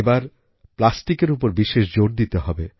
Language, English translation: Bengali, This time our emphasis must be on plastic